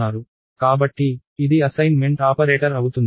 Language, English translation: Telugu, So, it is an assignment operator